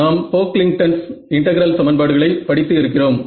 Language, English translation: Tamil, So, we have studied Pocklington integral equation right